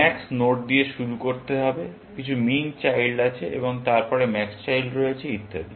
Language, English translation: Bengali, To starting with max node, there are some min children, and then, there are max children, and so on